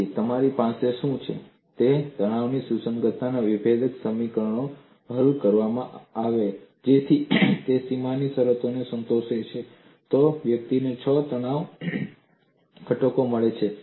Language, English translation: Gujarati, So, what you have is if the differentially equations of stress compatibility are solved such that they satisfy the boundary conditions, then one gets six stress components